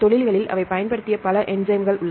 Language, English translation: Tamil, Because there are several enzymes they applied in industries right